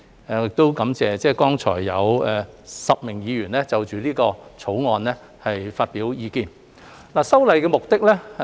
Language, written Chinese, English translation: Cantonese, 我亦感謝剛才有10位議員就此《條例草案》發表意見。, I would also like to thank the 10 Members who have expressed their views on the Bill